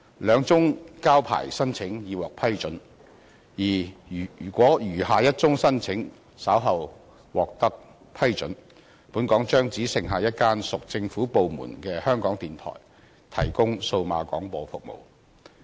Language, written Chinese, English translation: Cantonese, 兩宗交牌申請已獲批准，而如果餘下一宗申請稍後獲得批准，本港將只剩下一間屬政府部門的香港電台提供數碼廣播服務。, Two of the applications for surrendering the licenses have been approved and should approval be given to the remaining application later on Hong Kong will be left with the Radio Television Hong Kong RTHK which is a government department to provide DAB services